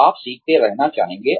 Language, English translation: Hindi, You will want to keep learning